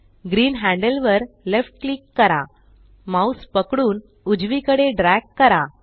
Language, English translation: Marathi, Left click green handle, hold and drag your mouse to the right